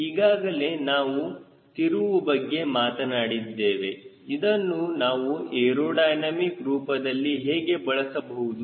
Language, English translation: Kannada, ok, since we talk about twist, how can you use the twist aerodynamically